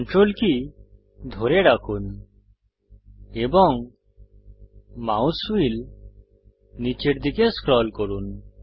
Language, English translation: Bengali, Hold Ctrl and scroll the mouse wheel downwards